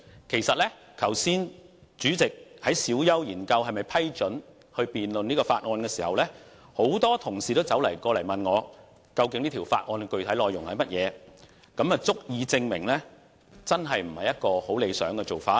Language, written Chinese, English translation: Cantonese, 其實主席剛才在小休時研究是否批准辯論這項議案時，很多同事也問我究竟這項議案的具體內容是甚麼，這足以證明真的不是理想的做法。, In fact during the break just now when the President was considering whether or not to allow this motion debate to proceed many colleagues asked me about the specifics of the motion . It serves to show that this method is not at all desirable